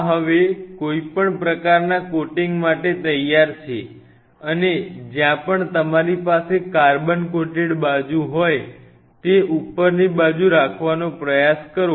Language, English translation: Gujarati, This is now all ready for any kind of coating or anything and preferred that wherever you have that carbon coated side try to keep that side on the top so that on that side